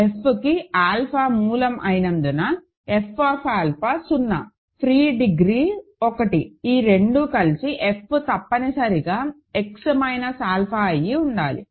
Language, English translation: Telugu, Because f has alpha as a root right, f alpha is 0, degree of free is 1, these 2 together imply that f must be X minus alpha